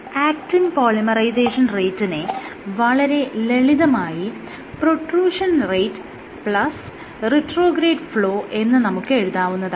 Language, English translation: Malayalam, I can write down the actin polymerization rate equal to protrusion rate plus retrograde flow